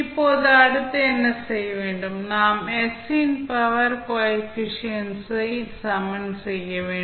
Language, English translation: Tamil, Now, what next you have to do, you have to just equate the coefficients of like powers of s